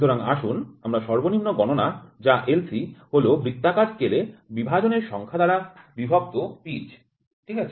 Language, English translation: Bengali, So let us call Least Count which is LC is nothing, but pitch by number of divisions on circular scale, ok